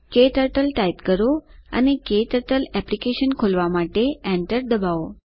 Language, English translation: Gujarati, Type KTurtle and press enter to open the KTurtle Application